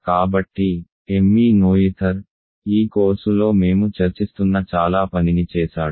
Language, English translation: Telugu, So, Emmy Noether did lot of work that we are discussing in this course ok